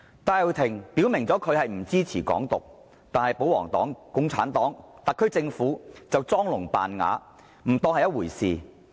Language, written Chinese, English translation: Cantonese, 戴耀廷已表明不支持"港獨"，但保皇黨、共產黨和特區政府裝聾扮啞，不當一回事。, Benny TAI has indicated that he does not support Hong Kong independence but the pro - Government Members the Communist Party of China and the SAR Government turned a deaf ear to that